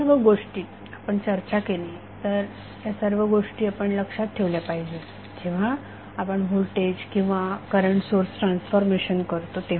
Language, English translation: Marathi, So these things which we have discuss we should keep in mind while we do the voltage or current source transformation